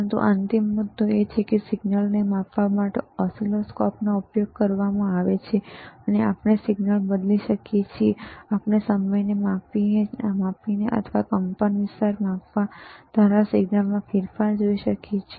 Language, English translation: Gujarati, But the final point is that oscilloscopes are used to measure the signal, and we can change the signal and we can change see the change in the signal by measuring the time or by measuring the amplitude,